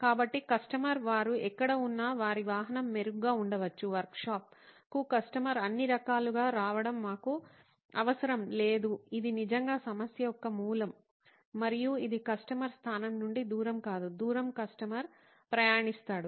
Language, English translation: Telugu, So the customer could be wherever they are and their vehicle could be better, we do not need the customer to come all the way to the workshop which is the root of the problem really, and that it is not the distance from customer location but distance that the customer travels